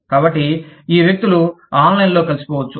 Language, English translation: Telugu, So, these people could get together, online